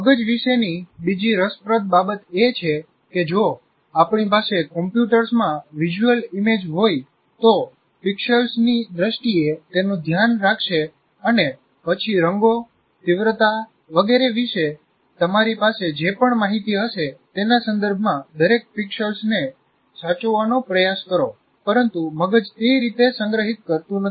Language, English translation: Gujarati, The other interesting thing about the brain is it is like if you have a visual image possibly in a computer will take care of, look at it in terms of pixels and then try to save each pixel with the with regard to the whatever information that you have about the colors in intensity and so on